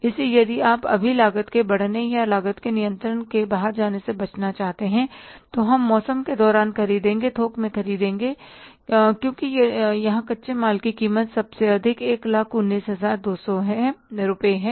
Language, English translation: Hindi, So if you want to avoid now the rising of the cost or cost going beyond control, we can buy during season, we can buy in bulk because here the cost of raw material is the highest